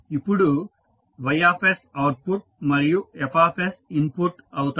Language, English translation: Telugu, That y s is the output and f s is the input